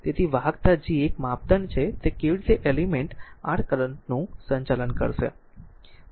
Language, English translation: Gujarati, So, conductance G is a measure of how well an element will conduct your current